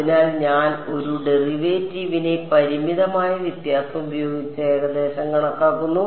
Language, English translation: Malayalam, So, I am approximating a derivative by a finite difference right